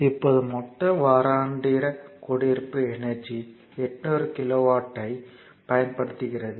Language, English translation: Tamil, Now, total your, what you call, annual your residential energy it is consume 800 kilowatt hour